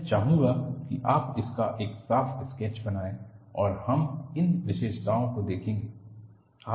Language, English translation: Hindi, I would like you to make a neat sketch of it and we will look at these features